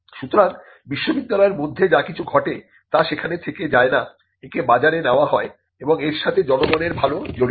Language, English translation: Bengali, So, there is whatever happens within the university does not remain there, it is taken to the market and there is a public good involved in it